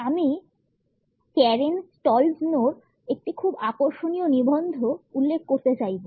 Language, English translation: Bengali, I would like to refer to a very interesting article by Karen Stollznow